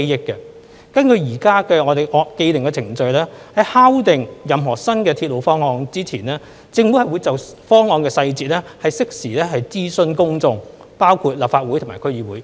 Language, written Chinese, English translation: Cantonese, 根據現時的既定程序，在敲定任何新鐵路方案前，政府會就方案細節適時諮詢公眾，包括立法會及區議會。, In line with existing established procedures prior to the finalization of any new railway scheme the Government will consult the public including the Legislative Council and the relevant District Councils on the details of the scheme